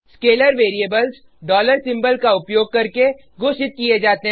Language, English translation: Hindi, Scalar variables are declared using $ symbol